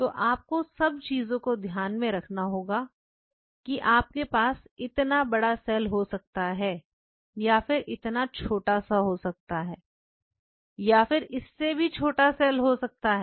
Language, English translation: Hindi, So, you have to take everything into account you may have a cell this big you may have cell this small you are in a smaller cell you know in a smaller cell